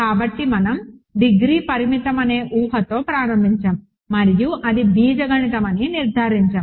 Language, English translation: Telugu, So, we have started with the assumption that degree is finite and concluded that it is algebraic